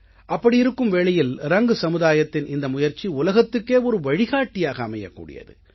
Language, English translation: Tamil, This initiative of the Rang community, thus, is sure to be showing the path to the rest of the world